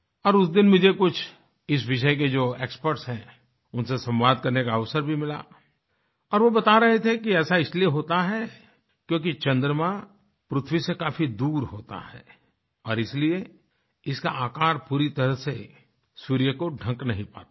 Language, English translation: Hindi, On that day, I had the opportunity to talk to some experts in this field…and they told me, that this is caused due to the fact that the moon is located far away from the earth and hence, it is unable to completely cover the sun